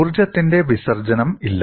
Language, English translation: Malayalam, There is no dissipation of energy